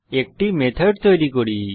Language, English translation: Bengali, Now let us create a method